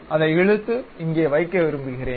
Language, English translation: Tamil, I would like to move it drag and place it here